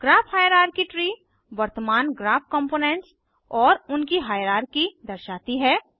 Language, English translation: Hindi, Graph hierarchy tree displays the current graph components and their hierarchy